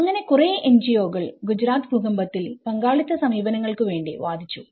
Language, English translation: Malayalam, So, there are many NGOs who have actually advocated participatory approaches in Gujarat earthquake